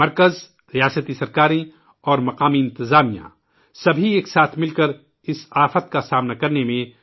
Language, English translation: Urdu, The Centre, State governments and local administration have come together to face this calamity